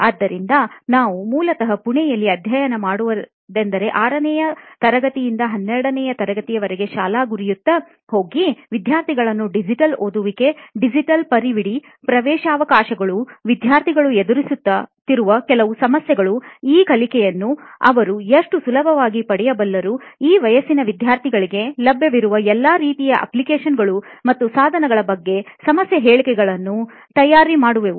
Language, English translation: Kannada, So what we will be targeting is school students from class 6th to class 12th and studying in Pune basically and few problem statements we have identified faced by the students are one is the access to digital learning and digital content, how easily they are accessible to e learning and all other applications and tools that are available for students of this age group